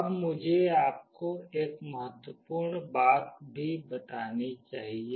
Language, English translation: Hindi, Now I should also tell you one important thing